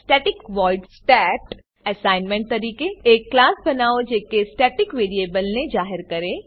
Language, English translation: Gujarati, static void stat() As an assignment Create a class that declares a static variable